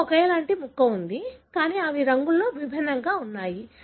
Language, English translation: Telugu, So, you have a identical piece, but they differ in the colour